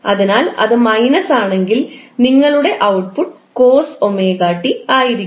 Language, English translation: Malayalam, So if it is minus then your output will be minus of cos omega t